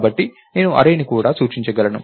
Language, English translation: Telugu, So, i could also point to an array as well